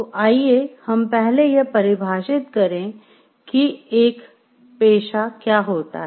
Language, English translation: Hindi, So, let us first define what is a profession